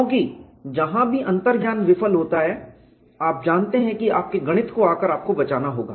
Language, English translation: Hindi, Because wherever intuition fails, you know your mathematics has to come and rescue yourself